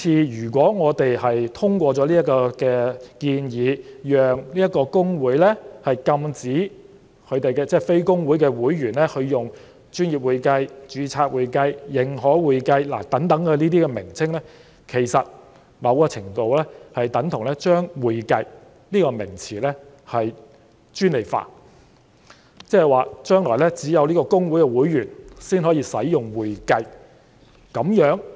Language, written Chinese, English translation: Cantonese, 如果我們通過這項法案，讓公會禁止非公會會員使用"專業會計"、"註冊會計"、"認可會計"等稱謂，其實在某程度上等同將"會計"這個名詞專利化，即是說將來只有公會會員才可以使用"會計"這個名詞，這樣是否公平呢？, If we pass this Bill and allow HKICPA to prohibit non - HKICPA members from using the descriptions such as professional accounting registered accounting certified public accounting this is tantamount to monopolizing the term accounting to a certain extent . In other words only HKICPA members can use the term accounting in the future . Is this fair?